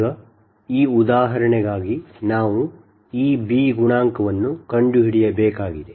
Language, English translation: Kannada, so this is actually called b coefficient